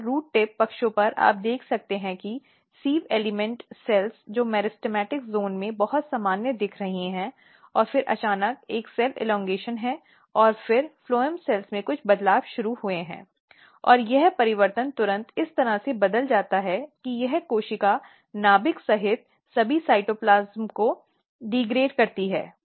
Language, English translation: Hindi, And at the root tip sides you can see that sieve element cells they are looking very normal very normal in the meristematic zone and then suddenly what happens that there is a cell elongation the cells started elongating and then some changes started in the phloem cells; and this changes immediately turns in a way that this cells degrades all the cytoplasm including the nucleus